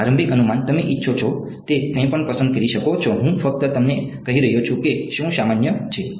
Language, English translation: Gujarati, Initial guess initial guess, you can choose anything you want I am just telling you what is common